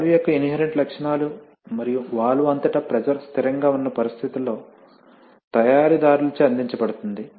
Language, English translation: Telugu, Inherent characteristics of the valve and are provided by the manufacturer under conditions that the pressure across the valve is constant